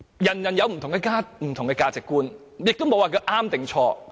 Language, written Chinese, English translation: Cantonese, 各人有不同的價值觀，亦沒有對與錯。, People may have different values and it is not a matter of right or wrong